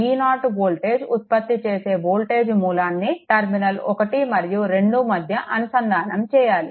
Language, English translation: Telugu, This voltage source; this voltage V 0 you apply a terminal 1 and 2